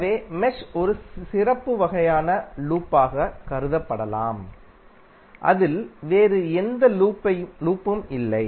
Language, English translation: Tamil, So mesh can be considered as a special kind of loop which does not contain any other loop within it